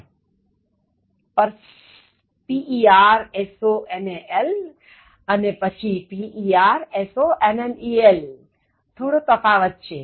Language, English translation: Gujarati, But personal, and then personnel, slight difference